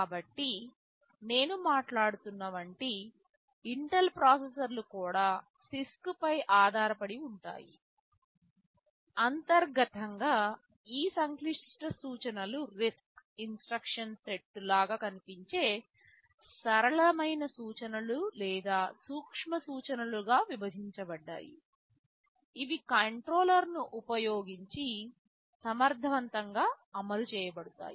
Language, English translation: Telugu, So, even the Intel processors I am talking about those are based on CISC; internally these complex instructions are broken up into simpler instructions or micro instructions, they look more like a RISC instruction set, which are then executed efficiently using a controller